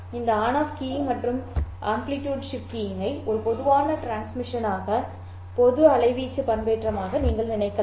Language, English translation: Tamil, You can think of this on off keying and amplitude shift keying as a general transmission, as a general amplitude modulation